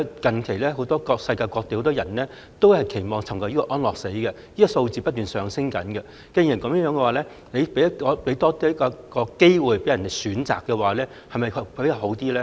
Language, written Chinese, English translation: Cantonese, 大家都知道，近來世界各地很多人都期望尋求安樂死，數字不斷上升，既然如此，政府讓病人有機會選擇，是否更好呢？, We all know that many people around the world are willing to seek euthanasia recently and the number of them is ever - increasing . Such being the case would it not be more desirable if the Government can give patients the opportunity to make a choice?